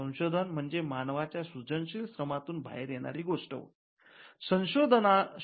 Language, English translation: Marathi, We refer to the invention as something that comes out of creative human labour